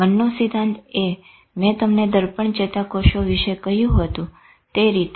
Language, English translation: Gujarati, Theory of mind is the way you, I told you about mirror neurons